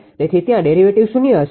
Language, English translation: Gujarati, So, there is derivative will be 0, right